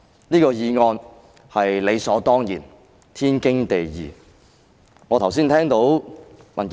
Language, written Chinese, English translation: Cantonese, 此項議案是理所當然、天經地義的。, The proposing of this motion is only a right and proper thing to do